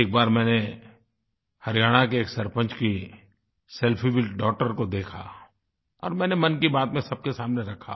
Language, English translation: Hindi, Once, I saw a selfie of a sarpanch with a daughter and referred to the same in Mann Ki Baat